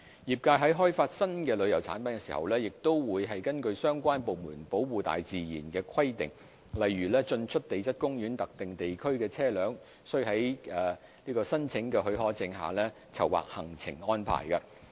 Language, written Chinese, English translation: Cantonese, 業界在開發新的旅遊產品時，亦會根據相關部門保護大自然的規定，例如在進出地質公園特定地區的車輛須領有許可證的前提下籌劃行程安排。, In developing in - depth green tourism products the industry will plan its programmes to comply with the environmental protection requirements of the relevant departments eg . permits must be obtained for vehicles accessing designated areas of the Geopark